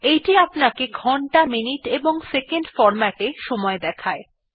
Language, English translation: Bengali, It gives us only the time in hours minutes and seconds (hh:mm:ss) format